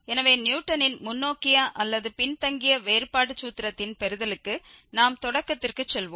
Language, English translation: Tamil, So, let us go back to what we have started with for the derivation of Newton's forward or the backward difference formula